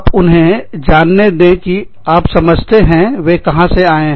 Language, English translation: Hindi, Let them know that, you understand, where they are coming from